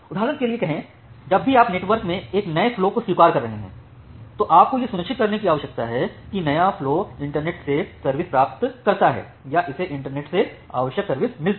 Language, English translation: Hindi, Say for example, whenever you are admitting a new flow in the network, then you need to ensure that the new flow get service from the internet or that it gets the required service from the internet